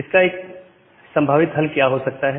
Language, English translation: Hindi, So, what can be a possible solution